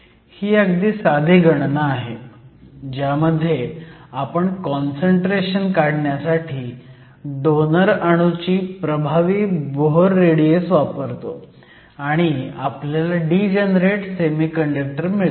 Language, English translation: Marathi, So, This is a simple back of the envelop calculation where we use the effective Bohr radius of the donor atom to calculate the concentration, where we get a degenerate semiconductor